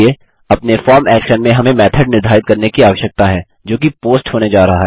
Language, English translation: Hindi, In our form action we need to set a method which is going to be POST